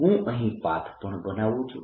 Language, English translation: Gujarati, let me take the path also